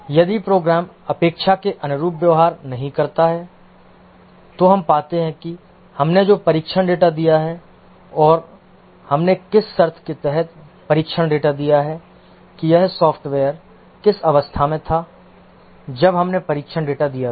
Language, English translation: Hindi, If the program does not behave as expected, we find what are the test data we gave and under what condition we gave the test data